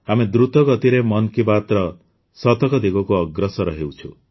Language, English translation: Odia, We are fast moving towards the century of 'Mann Ki Baat'